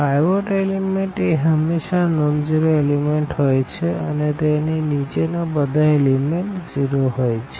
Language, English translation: Gujarati, This is called the pivot element and pivot element is always non zero element and below this everything should be zero